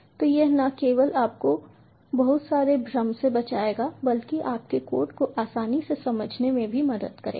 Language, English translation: Hindi, so this would not only save you lots of confusion but also will make your code easy to understand